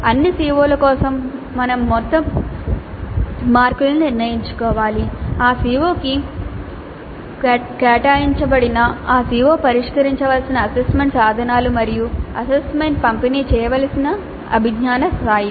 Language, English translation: Telugu, For all CEOs we must decide the marks, total marks allocated to that COO, the assessment instruments in which that CO is going to be addressed and the cognitive levels over which the assessment is to be distributed